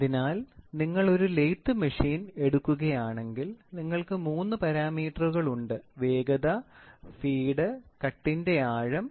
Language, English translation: Malayalam, So, let if you take lathe machine you have three parameters; speed, feed, depth of cut